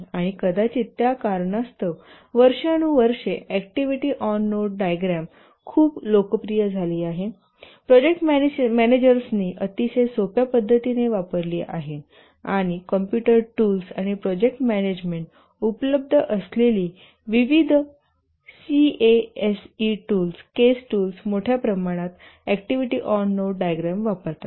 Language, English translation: Marathi, And possibly for that reason over the years activity on node diagram have become very popular used overwhelmingly by the project managers, very simple, and also the different case tools, the computer tools on project management that are available, they also use largely the activity on node diagram